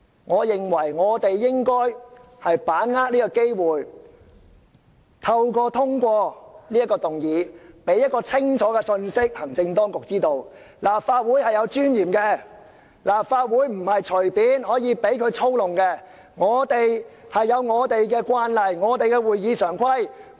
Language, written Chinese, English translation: Cantonese, 我認為我們應該把握這個機會，藉通過這項議案，向行政當局發出一個清楚的信息，就是立法會是有尊嚴的，立法會不是可以隨便讓當局操弄的，我們有我們的慣例，有我們的會議常規。, In my view we should seize this opportunity and pass this motion in order to send an unequivocal message to the executive the message that the Legislative Council has its dignity and will not succumb to the authorities arbitrary manipulation . We have our established practices and rules of procedure